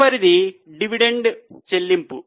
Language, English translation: Telugu, Next is dividend payout